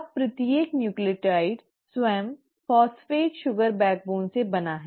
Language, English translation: Hindi, Now each nucleotide itself is made up of a phosphate sugar backbone